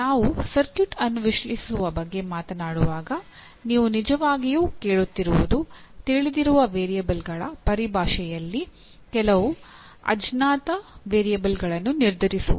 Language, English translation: Kannada, So in that case when we are talking about analyzing the circuit what you really are asking for determine some unknown variable in terms of known variables